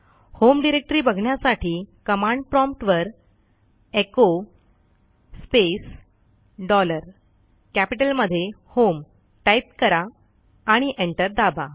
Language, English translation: Marathi, To see the home directory type at the prompt echo space dollar HOME in capital and press enter